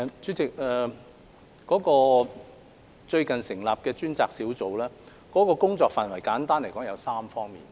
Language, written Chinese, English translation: Cantonese, 主席，最近成立的專責小組的工作範圍簡單來說分為3方面。, President the scope of work of the dedicated team established recently can be simply divided into three areas